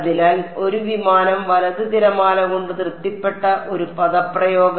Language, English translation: Malayalam, So, an expression satisfied by a plane wave right